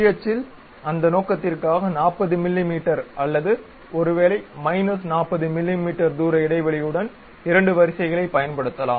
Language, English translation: Tamil, For that purpose in the Y axis we can use two rows with a distance gap of some 40 mm maybe in minus 40 mm